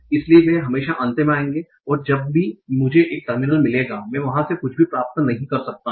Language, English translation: Hindi, So, they will always come at the end, and whenever I get a terminal, I cannot derive anything from there